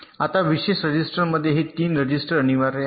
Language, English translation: Marathi, now, among the special registers, these three registers are mandatory